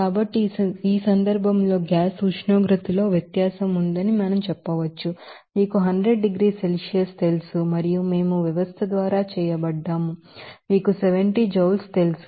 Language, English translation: Telugu, So, in this case, we can say that there is a difference in gas temperature that is, you know 100 degrees Celsius and we are done by the system is you know 70 joule